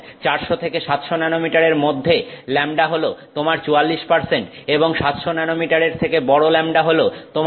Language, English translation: Bengali, Lambda between 400 and 700, that is your 44 percent and lambda that is longer than 700 nanometers